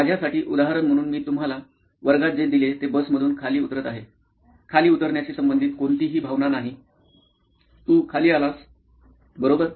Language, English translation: Marathi, For me the example that I probably gave you in class is getting down from a bus, there is no emotion associated with getting down; you have got down, you have got down, right